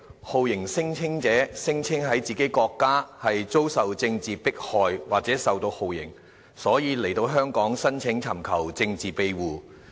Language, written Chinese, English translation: Cantonese, 酷刑聲請者聲稱在自己國家遭受政治迫害或受到酷刑，所以來到香港申請尋求政治庇護。, The torture claimants claiming that they were being subjected to political persecution or torture in their home countries came to Hong Kong to seek political asylum